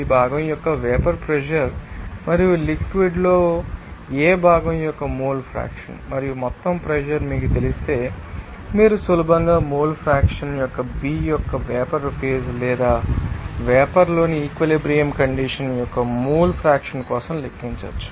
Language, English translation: Telugu, Once you know the vapour pressure of this component, and also mole fraction of component A in liquid, and also total pressure, then easily you can calculate for the mole fraction of A similarly mole fraction of B the vapour phase or that is you know, you can see that equilibrium condition in the vapour phase then yB that will be equal to 1 yA